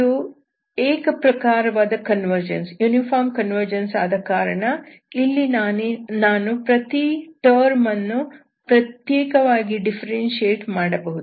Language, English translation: Kannada, So once it is uniform convergence here, so I can do term by term differentiation here